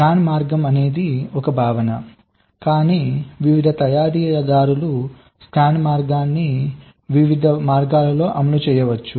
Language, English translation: Telugu, see, scan path is a concept but various manufactures can implements, can path in different ways